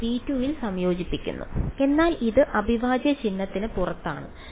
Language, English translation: Malayalam, This is being integrated in v 2 yes, but its outside the integral sign right